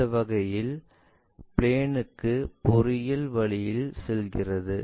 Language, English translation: Tamil, In that sense a reverse engineering goes in this way